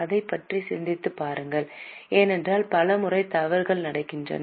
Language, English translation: Tamil, Just think over it because many times mistakes happen